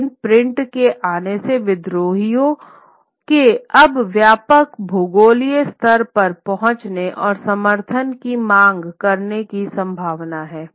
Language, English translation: Hindi, But with the coming of print the rebels now have the possibility of reaching out to a wider geography and seeking the support